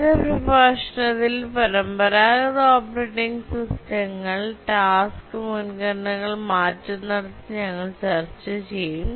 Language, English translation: Malayalam, As you will see in our next lecture that the traditional operating systems, they keep on changing task priorities